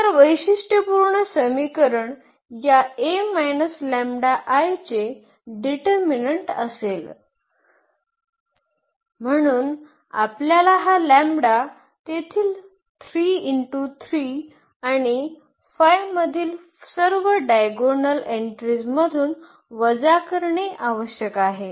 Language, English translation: Marathi, So, the characteristic equation will be determinant of this a minus lambda I, so we have to subtract this lambda from all the diagonal entries which is 3 3 and 5 there